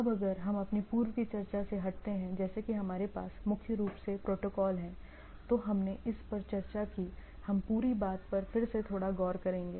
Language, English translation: Hindi, Now if we just again recap from our earlier talk like we primarily have protocols stack right, we discussed about this, we’ll again little bit re look on the whole thing